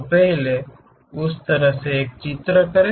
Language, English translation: Hindi, So, first draw that one in that way